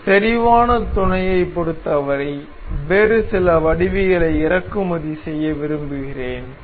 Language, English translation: Tamil, So, for concentric mate I would like to import some other geometry